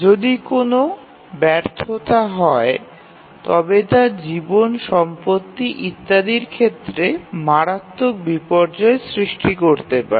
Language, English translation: Bengali, So, if there is a failure it can cause severe disasters, loss of life property and so on